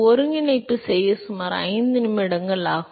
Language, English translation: Tamil, It takes about 5 minutes to do the integration